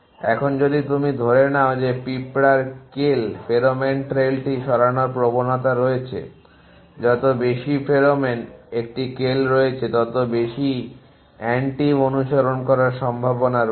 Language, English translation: Bengali, Now, if you assume that that ant has a tendency to move al1 pheromone trail in the more pheromone there is in a kale the more the antive likely to following